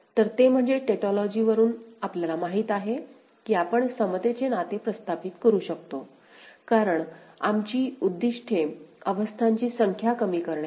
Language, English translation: Marathi, So, that is from tautology that we know that we can establish an equivalence relationship because our objective is to minimize the number of states